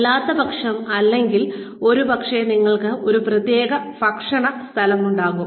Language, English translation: Malayalam, Otherwise or maybe, you have a separate eating place